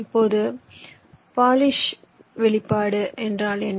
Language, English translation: Tamil, now what is ah polish expression